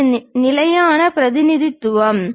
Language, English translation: Tamil, This is the standard representation